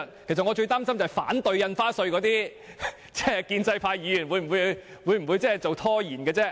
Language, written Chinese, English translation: Cantonese, 其實，我最擔心反對《條例草案》的建制派議員會拖延審議。, Indeed my major concern is that some pro - establishment Members who are against the Bill may try to delay its passage